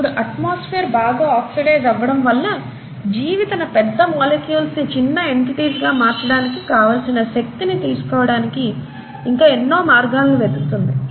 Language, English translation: Telugu, Now, if the atmosphere has become highly oxidized, there are still ways by which the organism has to derive energy by breaking down it's larger molecules into smaller entities